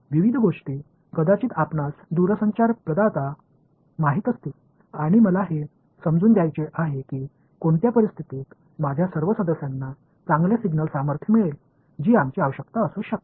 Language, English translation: Marathi, Various things maybe you know telecom provider and I want to understand under what conditions will all my subscribers get good signal strength that can be our requirement right